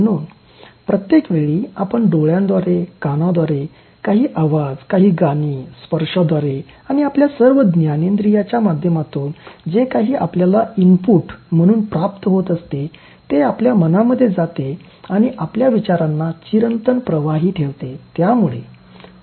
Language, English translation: Marathi, So, every time, so through eyes you are getting, through ears some noise, some songs through touch, through all your sense organs, whatever you are receiving as inputs, so they go and give a kind of eternal flow to your thoughts